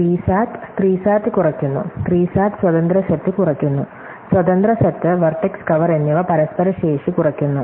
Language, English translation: Malayalam, So, we are shown that SAT reduces SAT, SAT reduces independent set, independent set and vertex cover are mutually reduce able